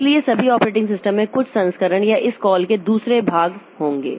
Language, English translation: Hindi, So, all operating systems will have some variant or the other of these calls